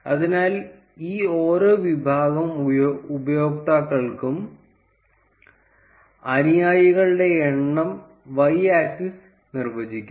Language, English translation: Malayalam, So, the y axis would define the number of followers for each of these categories of users